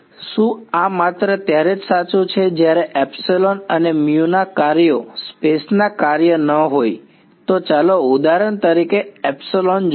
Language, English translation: Gujarati, Is this true only if epsilon and mu are functions of are not function of space let us look at me epsilon for example